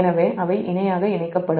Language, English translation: Tamil, this two are in parallel